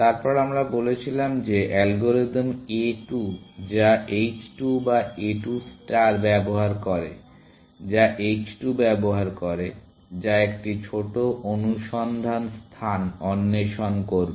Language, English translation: Bengali, Then, we said that algorithm a 2, which uses h 2 or a 2 star, which uses h 2, will explore a smaller search space